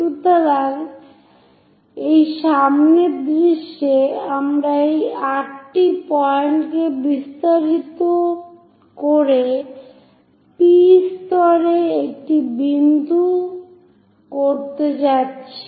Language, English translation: Bengali, So, at this front view, we extend this 8 point going to make a point at P level at P level make a dot